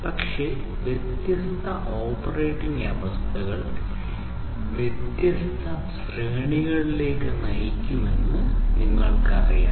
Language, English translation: Malayalam, But, you know different operating conditions will have different will result in different ranges and so on